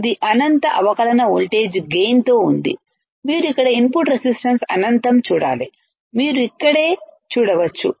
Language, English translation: Telugu, It has in differential voltage gain in finite right, you have to see here input resistance infinite, you can see here right